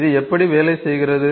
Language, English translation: Tamil, How does this work